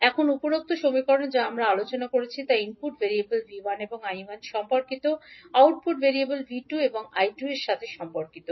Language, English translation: Bengali, Now, the above equation which we discussed relate the input variables V 1 I 1 to output variable V 2 and minus I 2